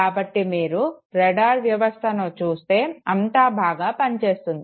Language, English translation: Telugu, So when you look at the radar system everything seems very nice